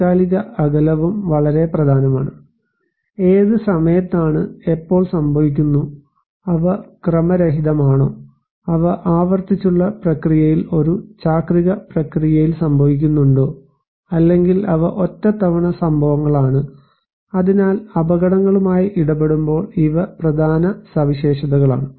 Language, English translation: Malayalam, And temporal spacing also very important; what time, when and it is happening, are they random, are they occurring in a cyclic process in a recurring process or they are one time events, so these are important features when we are dealing with hazards